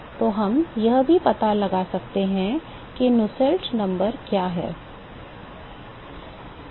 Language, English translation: Hindi, So, we can also find out, what is Nusselt number